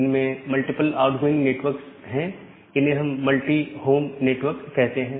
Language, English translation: Hindi, They have multiple outgoing network, we call it as a multi home network